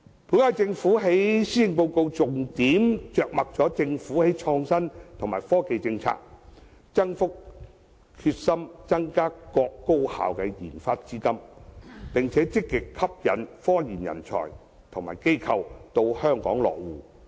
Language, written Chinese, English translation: Cantonese, 本屆政府在施政報告中重點着墨其創新及科技政策，決心增加各高校的研發資金，並積極吸引科研人才及機構到香港落戶。, In the Policy Address the incumbent Government talks at length about its policy on innovation and technology its determination to increase the provision of RD funding for higher education institutions as well as its proactive effort to attract talent and institutions engaged in scientific research to settle in Hong Kong